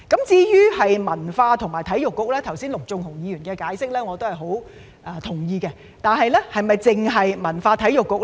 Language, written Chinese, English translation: Cantonese, 至於文化及體育局，我很同意陸頌雄議員剛才的解釋，但該局是否只處理文化及體育事宜呢？, As regards the Culture and Sports Bureau I very much agree with Mr LUK Chung - hungs earlier explanation but should that Bureau only deal with cultural and sports matters?